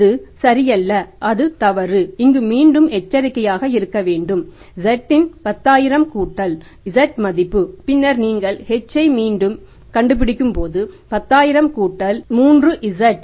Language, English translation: Tamil, So we have to again be cautious here that 10,000 plus z, value of the z and then when you are calculating h again 10,000 plus 3 Z